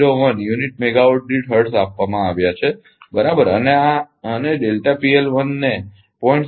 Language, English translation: Gujarati, 01 per unit megawatt per hertz right and delta P L 1 is given 0